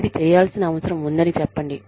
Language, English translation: Telugu, Just say, that this needs to be done